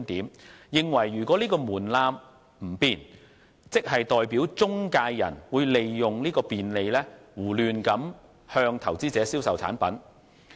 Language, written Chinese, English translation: Cantonese, 他們認為如果該門檻不變，即代表中介人會利用有關的便利，胡亂向投資者銷售產品。, They believe that if the threshold remains unchanged intermediaries will use it as a convenient tool to sell products to investors indiscriminately